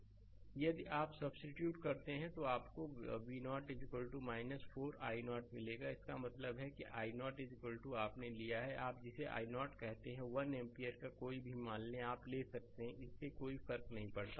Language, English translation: Hindi, If you substitute you will get V 0 is equal to minus 4 i 0 right so; that means, i 0 is equal to you have taken, your what you call i 0 is equal to say 1 ampere any value, you can take it does not matter right